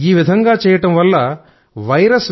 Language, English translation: Telugu, got infected by this virus